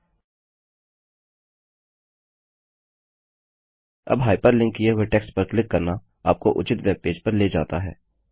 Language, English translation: Hindi, Now clicking on the hyper linked text takes you to the relevant web page